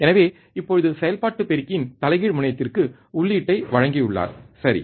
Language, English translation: Tamil, So now, he has given the input to the inverting terminal of the operational amplifier, right